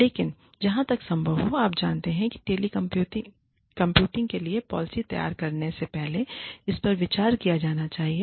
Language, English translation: Hindi, But, as far as possible, you know, this should be considered, before framing a policy for telecommuting